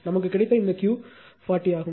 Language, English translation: Tamil, This Q we got is 40 right this 40